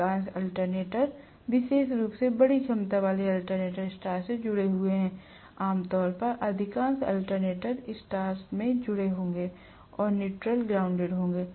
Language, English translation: Hindi, Most of the alternators are connected especially large capacity alternators are connected in star, generally, most of the alternators will be connected in star and the neutral will be grounded